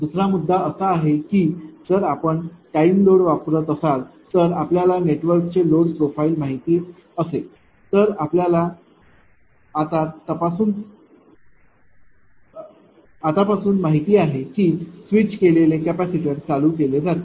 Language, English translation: Marathi, Another point is the if you use the time load if you know the load profile of the network then you know from this time that switch capacitors will be switched on